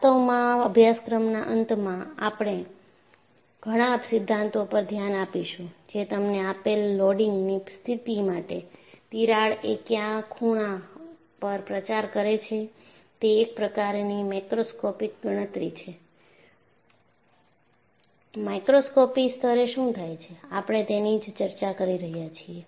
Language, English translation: Gujarati, In fact, towards the end of the course, we would look at several theories, which would give you, at what angle, the crack will propagate for a given loading condition that is the macroscopic calculation; at a microscopic level, what happens is, what we are discussing